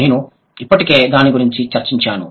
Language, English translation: Telugu, I have already discussed that